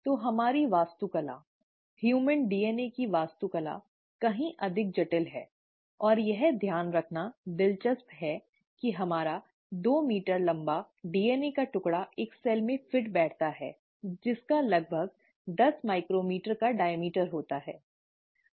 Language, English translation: Hindi, So our architecture, the architecture of human DNA, is far more complex, and it's interesting to note that our two meter long piece of DNA fits into a cell which has a diameter of about 10 micrometers